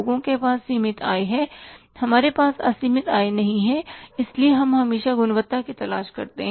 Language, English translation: Hindi, We don't have the unlimited income so we always look for the quality